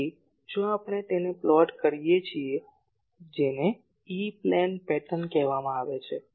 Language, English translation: Gujarati, So, if we plot that that is called E plane pattern